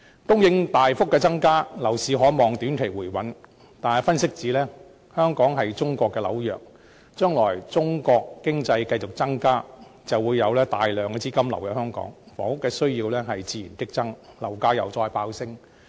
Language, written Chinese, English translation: Cantonese, 供應大幅增加，樓市可望於短期內回穩，但有分析指出，香港是中國的紐約，將來隨着中國經濟繼續加強，會有大量資金流入香港，房屋需要自然激增，樓價會再度飆升。, With the marked increase in housing supply it is expected that the property market will stabilize in the short run . However analyses reveal that being the New York of China there will be large inflows of funds into Hong Kong with the continued growth of the China economy thus giving rise to a sharp increase in housing demand which will in turn push property prices up again to a higher level